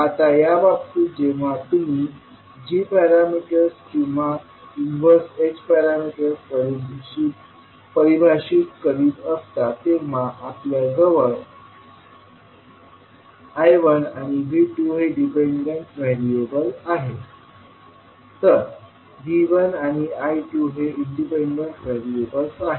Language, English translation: Marathi, Now, in this case when you are defining the g parameters or you can say the inverse of h parameters, we will have the dependent variables as I1 and V2, independent variable will be V1 and I2